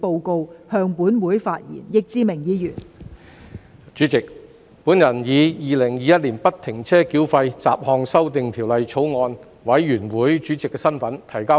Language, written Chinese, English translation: Cantonese, 代理主席，我以《2021年不停車繳費條例草案》委員會主席的身份提交報告。, Deputy President I now submit the report in my capacity as Chairman of the Bills Committee on Free - Flow Tolling Bill 2021